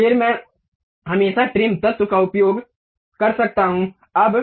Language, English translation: Hindi, Then I can always use trim entities object